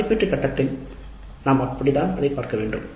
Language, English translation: Tamil, So, that is how we should be looking at the evaluate phase